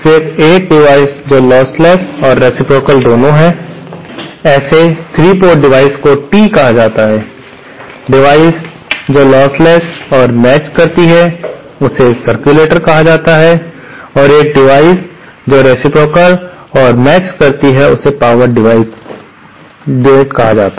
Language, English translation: Hindi, Then a device that is both lossless and reciprocal, such a 3 port device is called Tee, device which is lossless and matched is called a circulator and a device which is reciprocal and matched is called a power divider